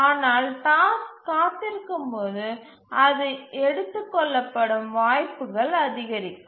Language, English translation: Tamil, But as the task waits, it chances of being taken up increases